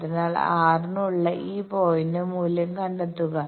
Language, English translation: Malayalam, So, find out the value of this point for r bar